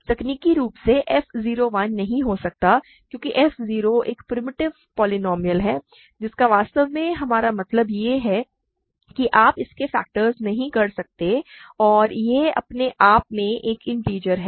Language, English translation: Hindi, Technically f 0 cannot be 1 because f 0 is a primitive polynomial what we really mean is that you cannot factor it into and it is an integer by itself